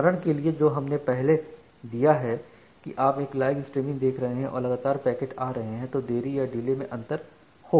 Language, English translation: Hindi, So, the example, that we have given earlier that you are watching a live streaming and then packets are coming will differ in delay